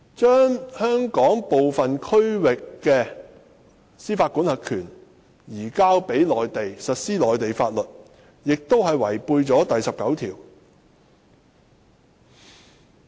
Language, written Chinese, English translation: Cantonese, 將香港部分區域的司法管轄權移交予內地，並實施內地法律，同樣違反《基本法》第十九條的規定。, Likewise the transfer of jurisdiction over some parts of Hong Kong to the Mainland for the enforcement of Mainland laws also contravenes Article 19 of the Basic Law